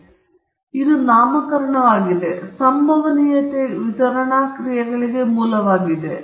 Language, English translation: Kannada, So this is the nomenclature and this is the genesis for the probability distribution functions